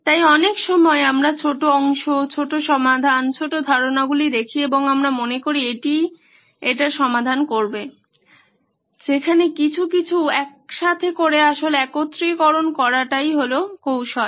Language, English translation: Bengali, So lots of times we look at smaller portions, smaller solutions, smaller ideas and we think this is what will solve it, whereas something put together unity actually would do the trick